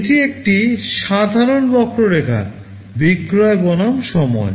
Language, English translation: Bengali, This is a typical curve, sale versus time